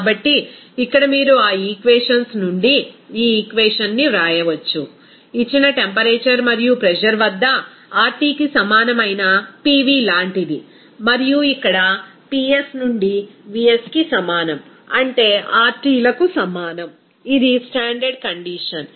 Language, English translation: Telugu, So, here you can simply write this equation from those equations, one is there like PV that will be is equal to RT at a given temperature and pressure and here Ps into Vs that will be is equal to RTs that is a standard condition